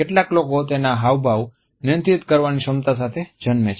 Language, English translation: Gujarati, Some people are born with the capability to control their expressions